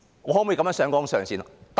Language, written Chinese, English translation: Cantonese, 我可以這樣上綱上線嗎？, Can I escalate the issue to the political plane as such?